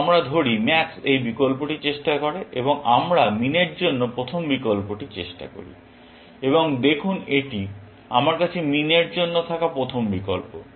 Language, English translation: Bengali, Let us say max try this option, and we try the first option for min, and see this is the first option, which I have for min